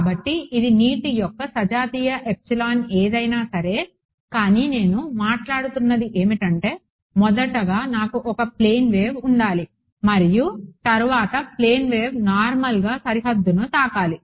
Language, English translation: Telugu, So, this is the homogeneous epsilon of water right whatever it is, but what I what I am talking about is first of all I need to have a plane wave and next of all the plane wave should be hitting the boundary normally